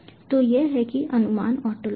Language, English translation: Hindi, so this is estimation ontology